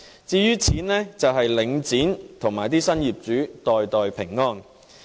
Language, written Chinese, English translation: Cantonese, 至於錢，便是由領展和新業主袋袋平安。, As to the money it is pocketed by Link REIT and the new owners